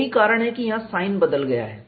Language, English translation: Hindi, That is why the sign change is there